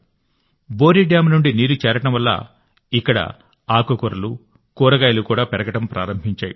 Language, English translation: Telugu, Due to accumulation of water from the check dams, greens and vegetables have also started growing here